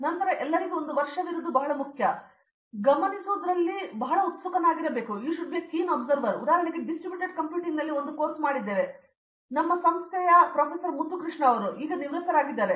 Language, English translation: Kannada, And then having a year for everything is also very important there should be very keen on observing, for example, I did a course on Distributed Computing with one Proff Mutthu Krishna of our institute, he retired now